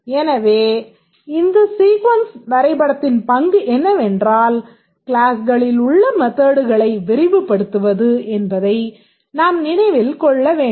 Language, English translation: Tamil, So, we can think that the role of the sequence diagram is to populate the methods in the classes